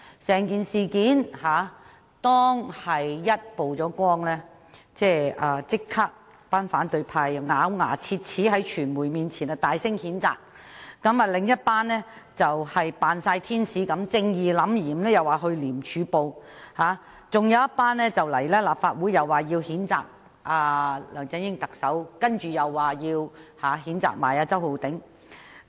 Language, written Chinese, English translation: Cantonese, 在事件曝光後，反對派立即在傳媒前咬牙切齒地大聲譴責，而另一批人則儼如天使般，正義凜然地說要向廉政公署舉報，還有一批人來到立法會譴責特首梁振英及周浩鼎議員。, After the matter came to light the opposition camp immediately condemned such act angrily in front of the media . Another group of people appeared as angels and vowed righteously to report to the Independent Commission Against Corruption ICAC while one other group of people condemned Chief Executive LEUNG Chun - ying and Mr Holden CHOW in this Council